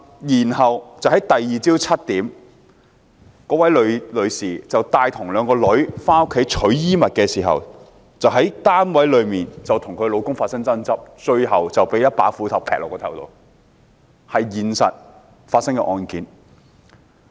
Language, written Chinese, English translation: Cantonese, 翌日早上7時，該位女士帶同兩名女兒回家拿取衣物，在寓所內跟丈夫發生爭執，最後被斧頭劈中，這是現實中發生的案件。, At 7col00 am the next day the woman went back home together with her two daughters to get some clothing . She had a dispute with her husband inside the premises and got hit on her head with an axe in the end . This is a case which has taken place in reality